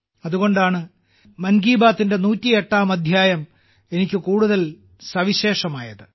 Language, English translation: Malayalam, That's why the 108th episode of 'Mann Ki Baat' has become all the more special for me